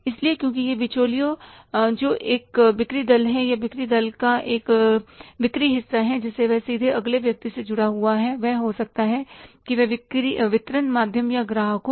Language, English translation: Hindi, So because that middleman who is a sales force or is a sales part of the sales team, he is directly connected to the next person, maybe the channel of distribution or the customer